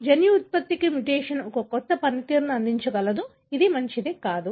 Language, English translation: Telugu, How mutation can offer a novel function to the gene product which is not good